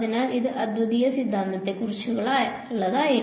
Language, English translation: Malayalam, So, this was about the uniqueness theorem